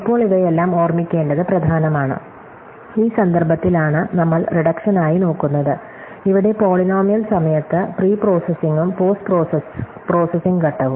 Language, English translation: Malayalam, Now, all these is important per remember that we are looking in this context to reductions, where the pre processing and post processing step at polynomial time